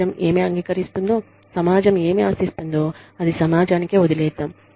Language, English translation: Telugu, What the society expects, what the society accepts, is up to the society